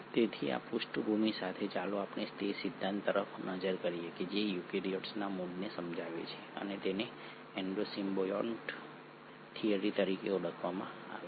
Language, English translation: Gujarati, So with this background let us look at the theory which explains the origin of eukaryotes and that is called as the Endo symbiont theory